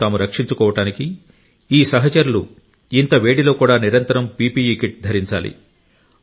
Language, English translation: Telugu, To protect themselves, these friends have to wear PPE Kit continuously even in sweltering heat